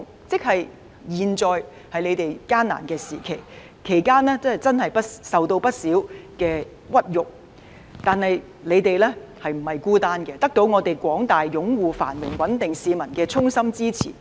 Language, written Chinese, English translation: Cantonese, 即使現在他們處於艱難的時期，其間受到不少屈辱，但他們並不孤單，得到廣大擁護繁榮穩定的市民衷心支持。, Though they are now facing hard times and have suffered immense humiliation they are not alone and have won the wholehearted support from the general public who endorse prosperity and stability